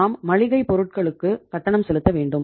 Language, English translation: Tamil, We have to pay for the for the grocery